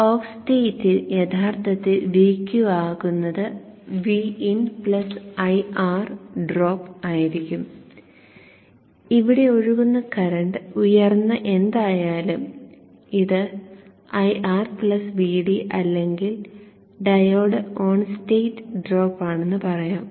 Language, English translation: Malayalam, So what actually will be VQ during the off state would be V Q during the off state would be VN plus I R drop whatever is the current I that flows through here and let's say this is R plus VD or the diode on state drop